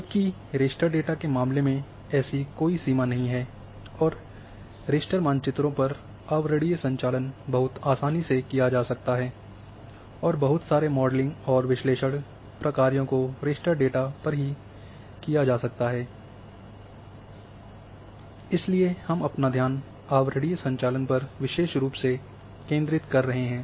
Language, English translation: Hindi, Whereas in case of raster data there is no limit and an overlay operations can very easily be performed on raster maps and lot of modelling and analysis functions can be done over raster data which we are focusing this particular one on overlay operations